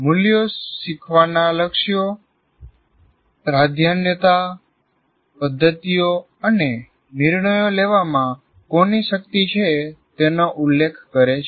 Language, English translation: Gujarati, Now the values refer to learning goals, priorities, methods, and who has the power in making decisions